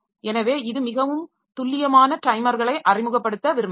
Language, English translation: Tamil, So, it may so happen that we may want to introduce more accurate timers